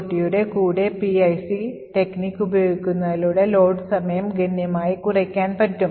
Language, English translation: Malayalam, So, the advantages of using PIC technique that is with using the GOT is that you have reduced the load time considerably